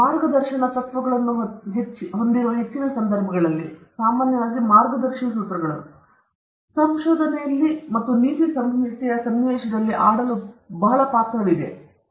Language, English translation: Kannada, We can see that on most occasions that there are guiding principles general guiding principles in research and ethics have () role to play in the context